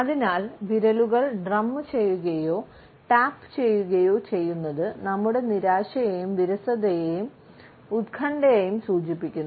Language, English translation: Malayalam, So, drumming or tapping the fingers can indicate our frustration, our boredom and anxiety